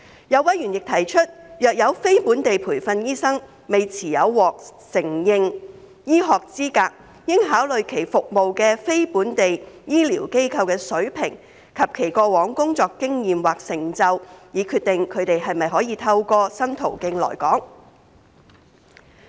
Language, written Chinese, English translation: Cantonese, 有委員亦提出，若有非本地培訓醫生未持有獲承認醫學資格，應考慮其服務的非本地醫療機構的水平及其過往工作經驗或成就，以決定他們可否透過新途徑來港。, Some members have also pointed out that for NLTDs who do not hold recognized medical qualifications the standing of the non - local healthcare institutions in which they are practising and their past working experience or achievements should be considered in deciding whether they are to be admitted through the new pathway